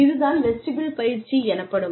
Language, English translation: Tamil, So, that is vestibule training